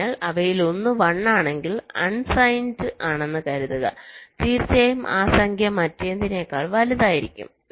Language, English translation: Malayalam, so if one of them is one, assuming to be unsigned, definitely that number will be greater than the other